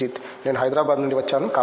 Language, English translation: Telugu, I am from Hyderabad